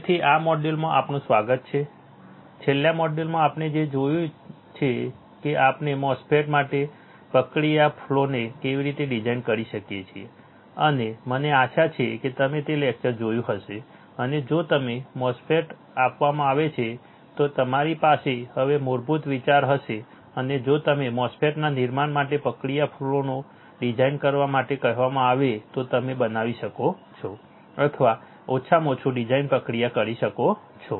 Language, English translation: Gujarati, So, welcome to this module, in the last module what we have seen we have seen how we can design the process flow for a MOSFET right and I hope you have seen that lecture and you now have a basic idea if you are given a MOSFET, and if you are asked to design the process flow for fabricating the MOSFET you can fabricate the or at least process the design right